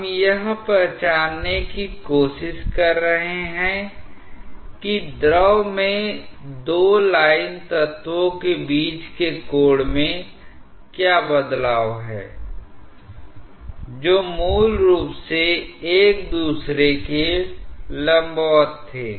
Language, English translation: Hindi, We are trying to identify what is the change in angle between two line elements in the fluid which were originally perpendicular to each other